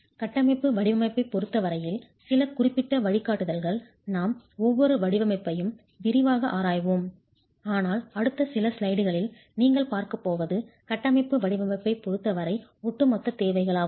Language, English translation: Tamil, Some specific guidelines as far as the structural design is concerned, we will be going and examining each design in detail but what you are going to see in the next few slides is overall requirements as far as the structural design is concerned